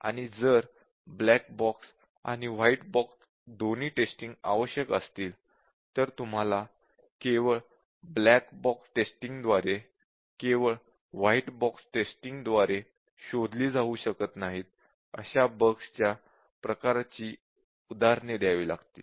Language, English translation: Marathi, So what do you think is both necessary and if both necessary black box and white box testing then you have to give examples of the type of bugs which cannot be detected by black box testing alone, and also you have to be the example of bugs which cannot be detected by white box testing alone